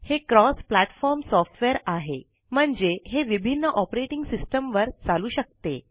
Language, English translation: Marathi, It is a cross platform software, which means it can run on various operating systems